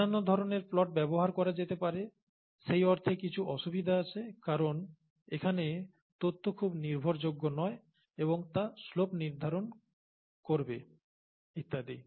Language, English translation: Bengali, Other types of plots can be used, there are some difficulties with this in the sense that the data here is not very reliable and it will determine the slope and so on